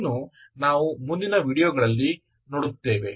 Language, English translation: Kannada, That we will see in the next videos